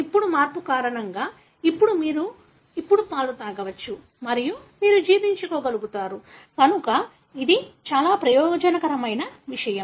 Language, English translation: Telugu, Now because of the change, now you can drink milk now and you are able to digest, so that is something beneficial